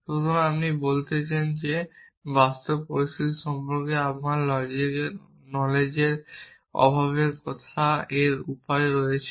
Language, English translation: Bengali, Then you are saying that this is way of talking about my lack of knowledge about the real situation